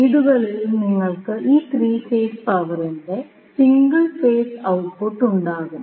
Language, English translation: Malayalam, So, in houses you will have single phase output of this 3 phase power